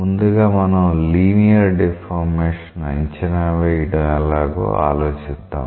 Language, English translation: Telugu, Initially, we will think of how we can estimate the linear deformation